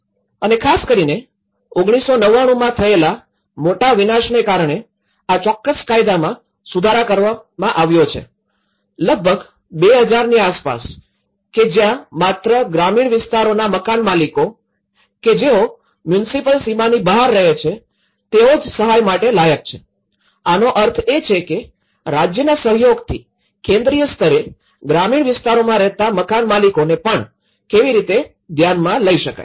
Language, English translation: Gujarati, And especially, due to this major devastation in1999, this particular law has been amended, somewhere around 2000 and this is where that only homeowners in rural areas who live in outside the municipal boundaries would still qualify for state assistance, so which means, so on a central level in collaboration with the state how they actually also considered the homeowners living in the rural areas